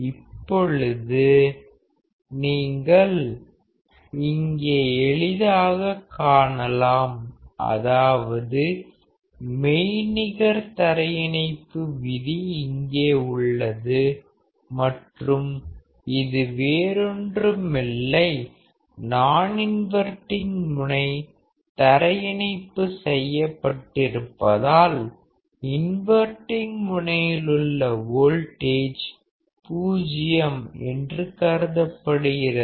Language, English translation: Tamil, Now here you can see very easily that the concept of virtual ground will appear here and here this is nothing, but because the non inverting terminal is grounded; the voltage at the inverting terminal is also considered as 0 which is your virtual ground